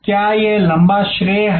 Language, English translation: Hindi, Is it long credit